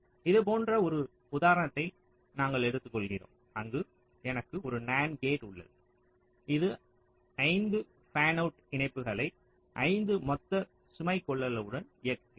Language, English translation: Tamil, so we take an example like this, where i have a nand gate which is driving five fanout connections with a total load capacitance of five